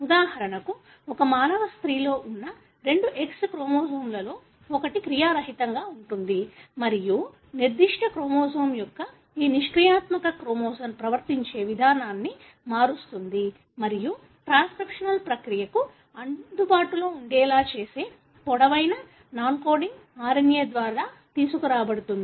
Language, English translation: Telugu, For example, of the two X chromosomes present in a human female, one is inactive and this inactivity of that particular chromosome is brought about by one of the long non coding RNA which changes the way the chromosome behaves and makes it available for transcriptional process